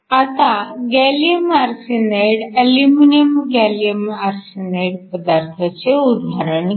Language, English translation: Marathi, So, consider the case of a gallium arsenide, aluminum gallium arsenide material